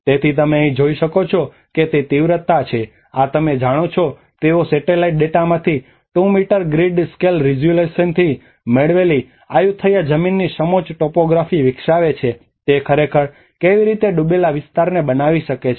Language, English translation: Gujarati, So here is what you can see is that the intensities, this is you know about they develop this contour topography of Ayutthaya land derived from 2 meter grid scale resolution from the satellite data and how it can actually create the inundated areas